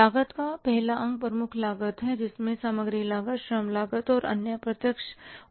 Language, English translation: Hindi, First component of the cost is the prime cost which includes the material cost, labour cost and the other direct overheads